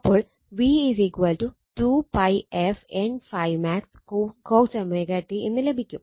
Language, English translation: Malayalam, So, v is equal to 2 pi f N phi max cos omega t right